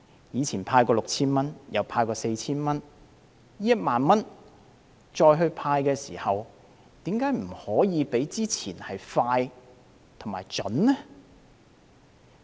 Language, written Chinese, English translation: Cantonese, 以往曾派發 6,000 元及 4,000 元，這次派發1萬元的時候，為何不可以較之前快捷及準確呢？, It has given out 6,000 and 4,000 before so why can the 10,000 handout not be handled more efficiently and accurately?